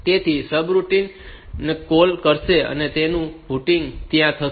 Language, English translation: Gujarati, So, it will be calling the subroutine su and their putting going there